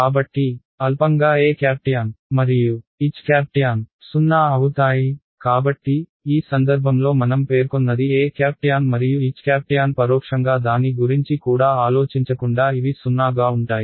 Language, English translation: Telugu, So, trivially the E tan and H tan is 0 right; so, in this case I have specified E tan and H tan implicitly without even thinking about it at infinity to be 0